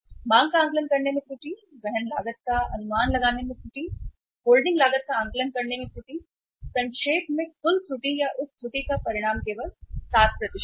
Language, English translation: Hindi, Error in estimating the demand, error in estimating the carrying cost, error in estimating the holding cost; nutshell the total error or the magnitude of that error is just 7%